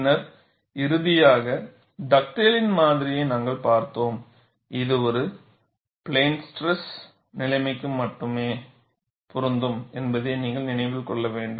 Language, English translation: Tamil, Then finally, we had seen the Dugdale’s model and we will have to keep in mind this is applicable only for a plane stress situation